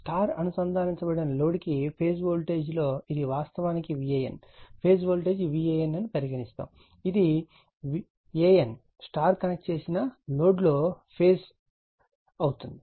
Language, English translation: Telugu, For star connected load, the phase voltages are this is actually v AN, we can say phase voltage v AN, we are making it capital AN right star connected load